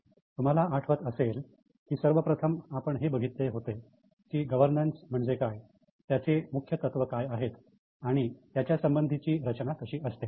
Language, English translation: Marathi, If you remember, first we discussed about what is governance, what are the major principles and what is a governance structure